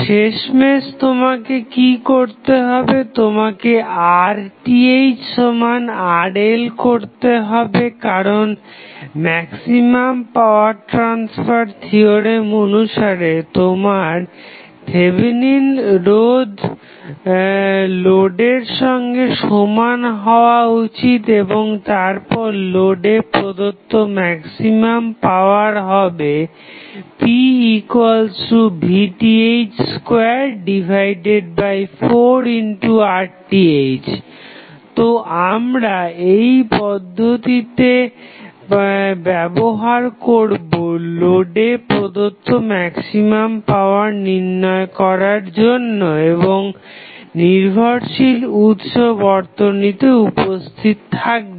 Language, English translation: Bengali, Finally, what you have to do you have to set Rth is equal to Rl because as per maximum power transfer theorem, your Thevenin resistance should be equal to the load resistance and then your maximum power transfer condition that is maximum power transfer being supplied to the load would be given us p max is nothing but Vth square upon Rth upon 4Rth so, will utilize this process to find out the maximum power being transferred to the load when dependent sources are available